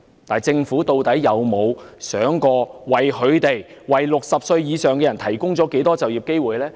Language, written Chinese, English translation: Cantonese, "但政府究竟有否想過，他們為60歲或以上人士提供了多少就業機會呢？, Yet has the Government ever examined how many job opportunities have they provided for those aged 60 or above?